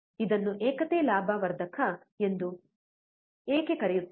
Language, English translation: Kannada, Why it is also called a unity gain amplifier